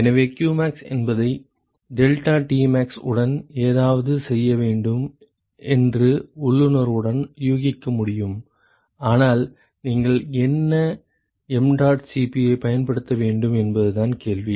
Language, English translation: Tamil, So, one could intuitively guess that qmax has to be something to do with deltaTmax, but the question is what mdot Cp that you should use